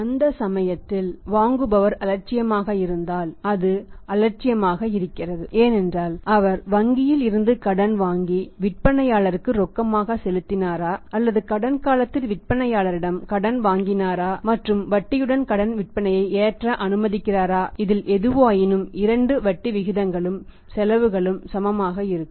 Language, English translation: Tamil, In that case it is indifferent if the buyer is indifferent at at that point and because whether he borrow money from the bank and paid in cash to the seller or whether he borrows from the seller on a credit period and allowing him to allow load the credit sales with the interest both both both the interest rates are equal the costs are equal